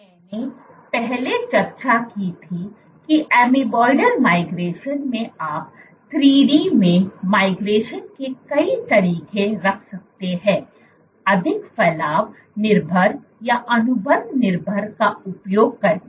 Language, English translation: Hindi, I had previously discussed that in Amoeboidal Migration you can have multiple modes of migration in 3D, using more Protrusion dependent or Contractility dependent